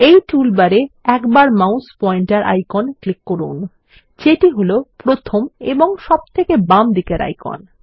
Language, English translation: Bengali, In this toolbar, let us click once on the mouse pointer icon which is the first and the leftmost icon